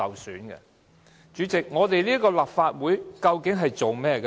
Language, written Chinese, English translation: Cantonese, 代理主席，究竟立法會的工作是甚麼？, Deputy President actually what is the work of the Legislative Council?